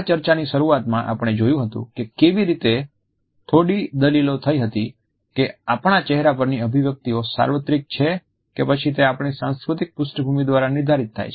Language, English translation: Gujarati, In the beginning of this discussion we had looked at how there had been some debate whether the expression on our face is universal or is it determined by our cultural backgrounds